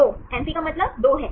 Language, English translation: Hindi, Amphi means 2 right